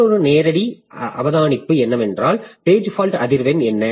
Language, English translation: Tamil, Another direct observation is what is the page fault frequency